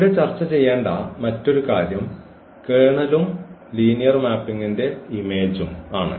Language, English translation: Malayalam, So, another point here to be discussed that is called the kernel and the image of the linear mapping